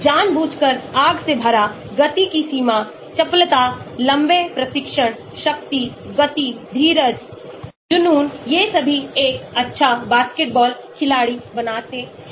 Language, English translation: Hindi, deliberate, full of fire, range of motion, agility, long training, strength, speed, endurance, passion all these make a good basketball player